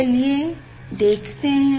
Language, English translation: Hindi, let me see